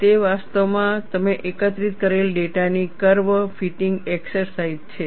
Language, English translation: Gujarati, It is actually curve fitting exercise of the data that you have collected